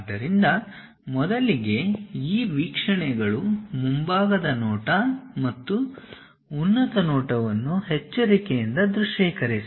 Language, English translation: Kannada, So, first of all carefully visualize these views, the front view and the top view